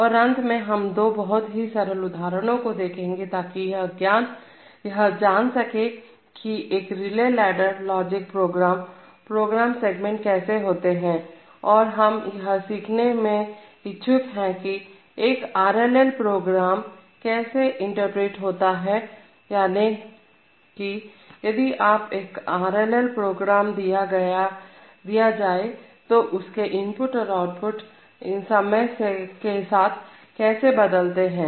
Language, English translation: Hindi, And, finally we will take two of the simplest examples and see how exactly a relay ladder logic program, program segment could look like and also would learn to interpret a particular RLL program, that is, after we, if you are given an RLL program then we have to know what it means and how the inputs and outputs will change with time, so we will do that